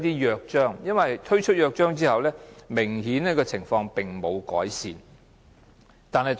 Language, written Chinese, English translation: Cantonese, 因為推出《約章》之後，情況並沒有改善。, The situation has not been improved after the Charter was launched